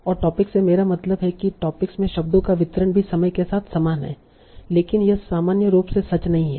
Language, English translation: Hindi, And by same topic I mean the distribution of words in the topic are also same over time